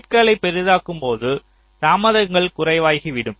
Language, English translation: Tamil, so as you make the gates larger, your delays will become less